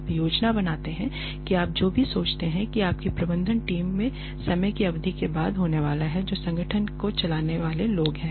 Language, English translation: Hindi, You plan for whoever you think is going to be there in your management team after a period of time, management team is the people who run the organization